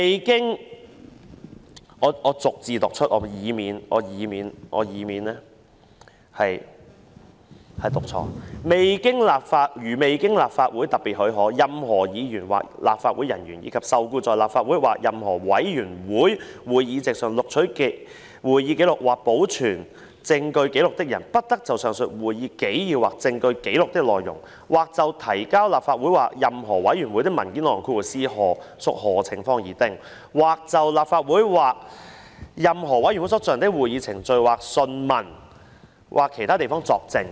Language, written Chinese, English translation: Cantonese, 讓我逐字唸出來，以免說錯："如未經立法會特別許可，任何議員或立法會人員，以及受僱在立法會或任何委員會會議席上錄取會議紀要或保存證據紀錄的人，不得就上述會議紀要或證據紀錄的內容、或就提交立法會或任何委員會的文件內容、或就立法會或任何委員會所進行的會議程序或訊問......在其他地方作證。, Let me read it out word by word to avoid making any mistake No member or officer of the Council and no person employed to take minutes or keep any record of evidence before the Council or a committee shall give evidence elsewhere in respect of the contents of such minutes or record of evidence or of the contents of any document laid before the Council or committee as the case may be or in respect of any proceedings or examination held before the Council or committee without the special leave of the Council